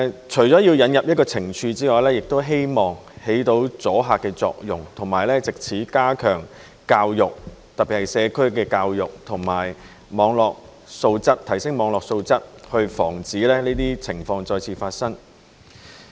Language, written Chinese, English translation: Cantonese, 除了引入懲處外，亦希望發揮阻嚇作用，以及藉此加強教育，特別是社區的教育和提升網絡素質，防止這些情況再次發生。, Apart from introducing penalties it is hoped that by so doing a deterrent effect can be achieved and that education especially community education and the quality of Internet content can be enhanced so as to prevent the recurrence of these situations